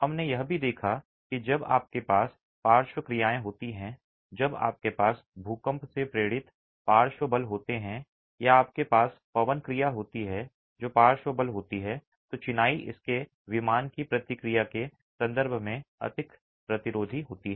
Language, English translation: Hindi, We also saw that when you have lateral actions, when you have earthquake induced lateral forces or you have wind action which is a lateral force, then the masonry is more resistant in terms of its in plain response